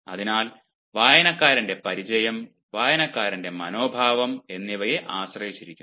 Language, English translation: Malayalam, so much depends upon the familiarity of the reader and also upon the attitude of the reader